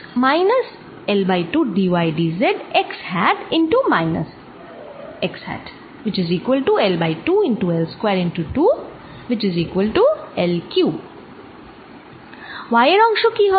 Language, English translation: Bengali, how about the y part